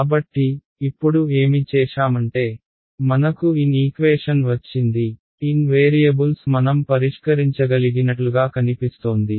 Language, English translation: Telugu, So, now what we have done is we have got N equation, N variables seems like something we can solve right